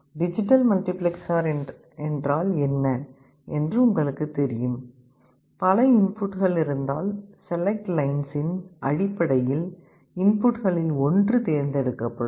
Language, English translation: Tamil, You know what is the digital multiplexer is; if there are multiple inputs, one of the inputs are selected based on the select lines